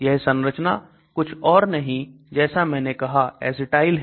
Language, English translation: Hindi, This structure as I said aspirin is nothing but acetyl